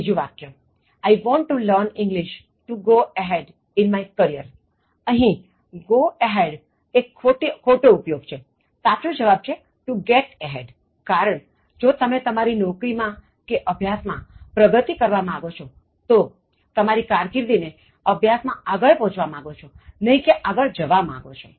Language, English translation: Gujarati, Third one, I want to learn English to go ahead in my career, go ahead is wrong usage, the correct usage is to get ahead, explanation if you want to progress with your job or studies you want to get ahead in your job or you want to get ahead in your career, you want to get ahead in your studies and not go ahead